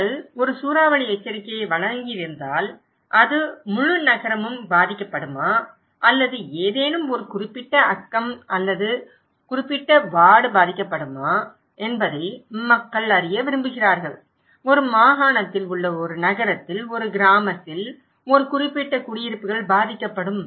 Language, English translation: Tamil, If you have given a cyclone warning, people want to know is it the entire city that will be affected or is it any particular neighbourhood or particular ward that will be affected, particular settlements will be affected in a city, in a village, in a province